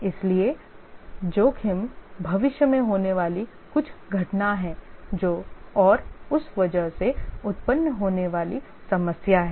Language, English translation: Hindi, So, the risk is some event that may arise the problem that may arise because of that